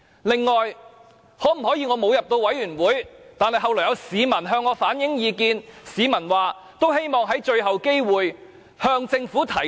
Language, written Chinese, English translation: Cantonese, 此外，我沒有加入小組委員會，但後來有市民向我反映意見，表示希望我用最後機會向政府提出。, Besides even if I did not join the subcommittee maybe some people told me their views afterward and hoped that I could seize the last chance to raise them with the Government